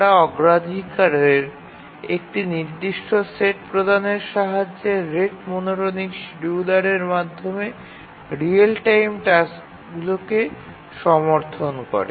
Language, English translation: Bengali, They support real time tasks scheduling through the rate monotonic scheduler by providing a fixed set of priorities